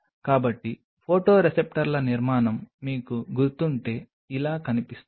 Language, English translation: Telugu, So, if you remember the structure of the photoreceptors looks like this